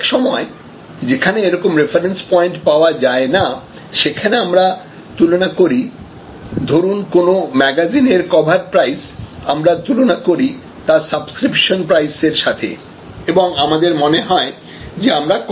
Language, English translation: Bengali, Some times when this sort of comparison is not available, the customer may look at the cover price of a magazine with respect to the subscription price and feel that, he is paying a lower price